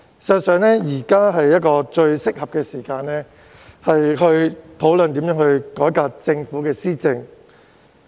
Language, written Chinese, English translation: Cantonese, 事實上，現時是最適合的時機討論如何改革政府施政。, In fact now is the most opportune time to discuss how to reform the Governments governance